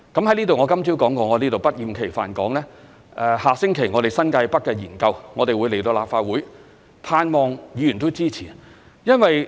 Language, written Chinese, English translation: Cantonese, 我今早已說過，我在此不厭其煩地說，下星期我們的新界北發展研究會在立法會作討論，盼望議員也會支持。, I already said this morning and here I will tirelessly say again that we will submit the New Territories North study to the Legislative Council for discussion next week . I hope Members will support it